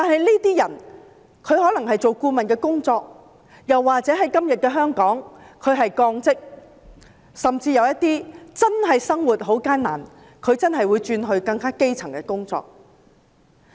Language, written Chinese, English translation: Cantonese, 這些人可能從事顧問工作，但在現今的香港，他會被降職，甚至有些人真的會因為生活艱難而轉任更基層的工作。, They may have been working as consultants but in Hong Kong nowadays they would be demoted . Some of them may even take up jobs at a much junior level as it is hard to earn a living